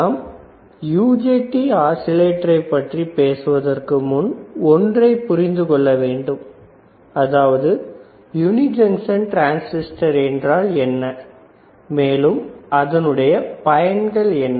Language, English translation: Tamil, So, when we talk about UJT oscillators, we have to understand; what are uni junction transistors and why we had to use UJT oscillators